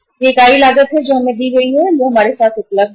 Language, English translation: Hindi, This is the unit cost which is given to us or which is available with us